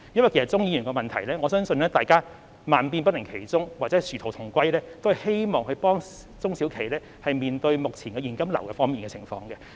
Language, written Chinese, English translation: Cantonese, 對於鍾議員的質詢，我相信萬變不離其宗或殊途同歸的是，希望幫助中小企面對目前現金流方面的困難。, Regarding Mr CHUNGs question I believe no matter how the measures vary the ultimate aim is to help SMEs deal with their cash flow difficulties now